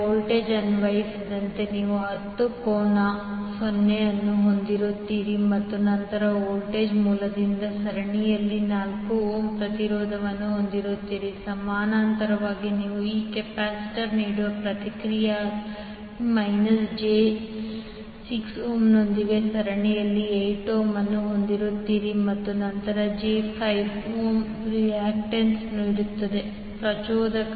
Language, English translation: Kannada, You will have 10 angle 0 as a voltage applied and then resistance 4 ohm in series with the voltage source, in parallel you have 8 ohm in series with minus j 6 ohm as a reactance offered by this capacitor and then j 5 ohm reactance offered by the inductor